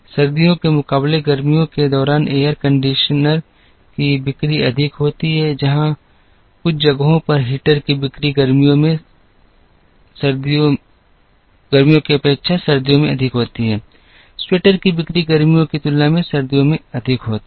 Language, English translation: Hindi, The sale of air conditioners is higher during summer, than during winter, the sale of in some places the sale of heaters is higher in winter than in summer, sale of sweaters are meant to be higher in winter than in summer and so on